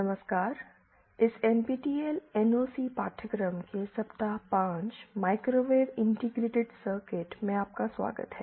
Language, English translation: Hindi, Hello, welcome to week 5 of this NPTEL NOC course, microwave integrated circuits